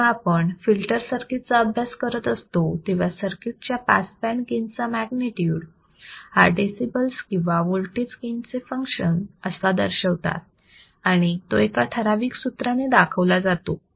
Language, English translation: Marathi, When dealing with the filter circuits, the magnitude of the pass band gain of circuit is generally expressed in decibels or function of voltage gain and it is given by this particular equation, which you can see here